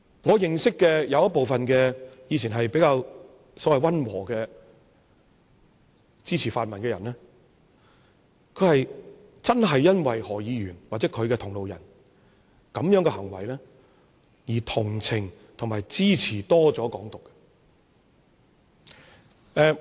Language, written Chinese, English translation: Cantonese, 我認識部分過往比較溫和的泛民支持者，他們真的因為何議員或其同路人這樣的行為，而同情和多了支持"港獨"。, I know some pan - democratic supporters who used to be relatively modest have shown more sympathy and support for advocates of Hong Kong independence purely because of those acts of Dr HO and his allies